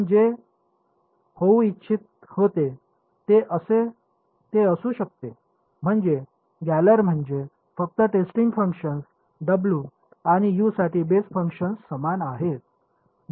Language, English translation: Marathi, It can be whatever you wanted to be I mean galler can simply means that the testing function W and the basis function for U is the same